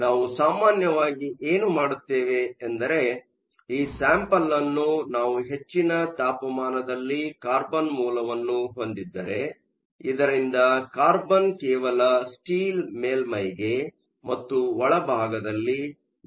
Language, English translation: Kannada, So, it typically what we do is we have your sample at high temperature, you have a carbon source so that the carbon then just defuses into the surface and into the bulk of your steel